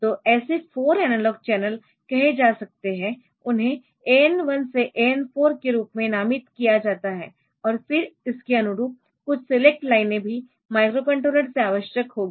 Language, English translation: Hindi, So, there may be say 4 such analog channels, they are named as a A N 1 to A N 4, and then there will be corresponding some select lines will also be required from the microcontroller